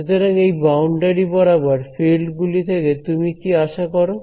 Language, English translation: Bengali, So, what do you expect of the fields across the boundary